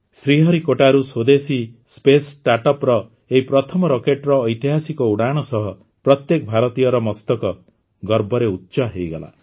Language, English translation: Odia, As soon as this first rocket of the indigenous Space Startup made a historic flight from Sriharikota, the heart of every Indian swelled with pride